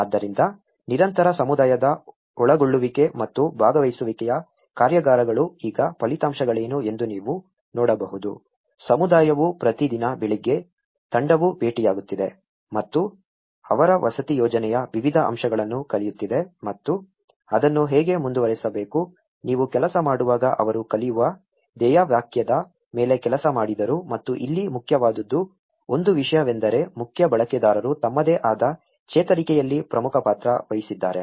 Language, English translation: Kannada, So, what are the results now there has been a constant community involvement and a participatory workshops have been like you can see that every morning the community is, team is meeting and learning different aspects of their housing project and how to go ahead with it so that is what they worked on a motto learn as you work and the main here, the one thing is main users themselves have played an important role in their own recovery